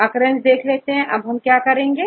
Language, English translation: Hindi, So, when we get the occurrence then what to do